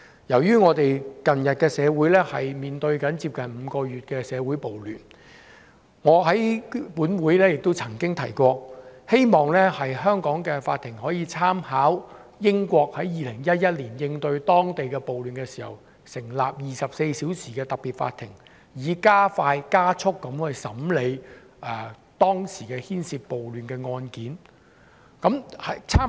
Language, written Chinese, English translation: Cantonese, 由於我們的社會近日面對接近5個月的社會暴亂，我在本會亦曾經提過，希望香港的法庭可以參考英國在2011年應對當地暴亂事件的做法，成立24小時運作的特別法庭，以加快審理當時涉及暴亂的案件。, Noting that social riots have taken place in our society for nearly five months I have previously mentioned in this Council that local courts should draw reference from the approach adopted by the United Kingdom in handling the local riots in 2011 . Back then a 24 - hour special court was set up to expedite the trial of cases relating to the riots